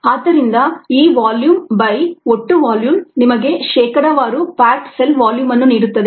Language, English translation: Kannada, so this volume by the total volume is going to give you the percentage packed cell volume